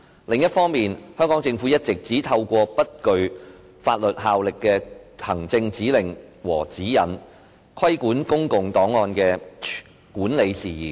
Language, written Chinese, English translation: Cantonese, 另一方面，香港政府一直只透過不具法律效力的行政指令和指引，規管公共檔案的管理事宜。, On the other hand the Hong Kong Government has all along been using merely administrative directives and guidelines with no legal effect to regulate the management of public records